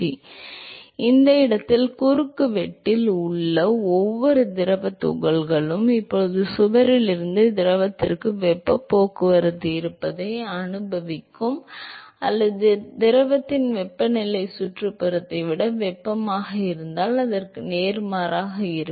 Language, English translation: Tamil, So, at that location every fluid particle in the cross section will now experience the presence of heat transport from the wall to the fluid or vice versa if the temperature of the fluid is hotter than the surroundings